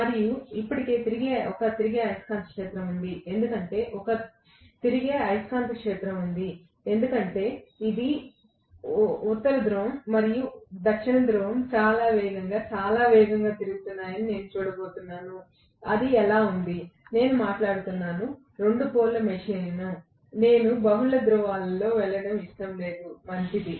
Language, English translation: Telugu, And there is a revolving magnetic field already set up, because there is a revolving magnetic field I am going to see that continuously the North Pole and South Pole are rotating at a very very fast rate that is how it is, I am talking about 2 pole machine, I do not want to go into multiple poles, fine